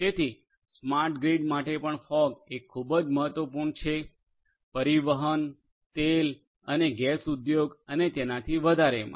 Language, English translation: Gujarati, So, like that for smart grid also fog is very important transportation, oil and gas industry and so on